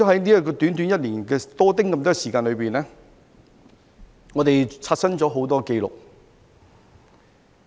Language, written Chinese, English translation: Cantonese, 在短短1年多的時間裏，我們刷新了很多紀錄。, In just over one - odd year we have set many new records